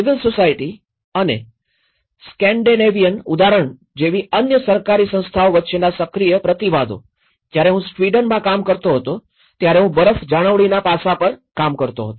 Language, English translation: Gujarati, Active counterbalances, between the civil society and other governmental bodies like in Scandinavian example, I have been working on the snow maintenance aspect when I was working in Sweden